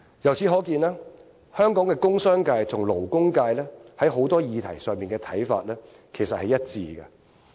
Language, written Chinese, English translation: Cantonese, 由此可見，香港的工商界和勞工界在許多議題的看法，其實是一致的。, This shows that the commerce and industry sector and the labour sector in Hong Kong do share the same view on many issues